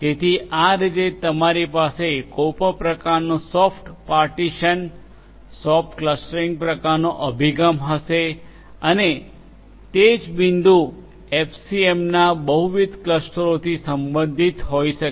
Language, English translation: Gujarati, So, that is how you will have some kind of a soft partitioning, soft clustering kind of approach and the same point can belong to multiple clusters in FCM